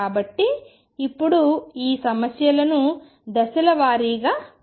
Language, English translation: Telugu, So, let us now take these problems step by step